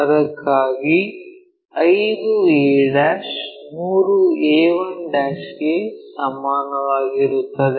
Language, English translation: Kannada, For that we use 5 to a' is equal to 3a 1'